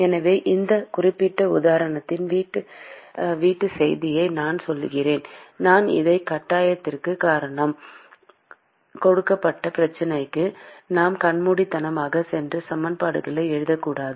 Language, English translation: Tamil, So I mean the take home message of this particular example the reason why I showed this is we should not blindly just go and write equations for a given problem